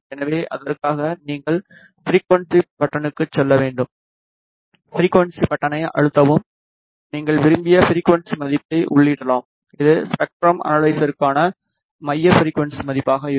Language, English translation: Tamil, So, for that you have to go to the frequency button press the frequency button and you can enter the desired frequency value which will be the centre frequency value for the spectrum analysis